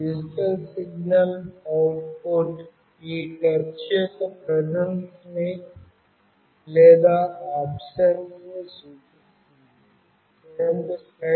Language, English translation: Telugu, The digital signal output indicates the presence of this or absence of this touch